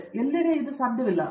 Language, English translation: Kannada, So, everywhere it is not possible